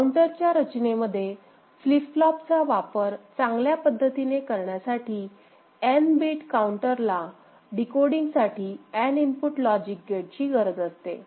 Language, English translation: Marathi, For optimal use of number of flip flops in counter design n bit counter requires n input logic gate for decoding